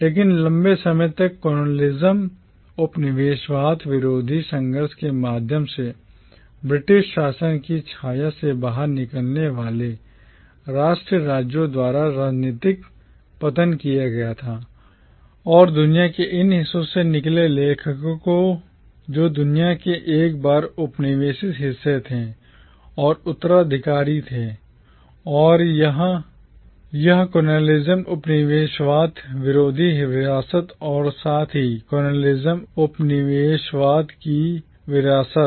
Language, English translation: Hindi, But political decolonisation was achieved by the nation states that emerged out of the shadow of British rule through a prolonged anti colonial struggle and the authors who came out of these parts of the world, the once colonised parts of the world, were heirs to this anti colonial legacy as well as to the legacies of colonialism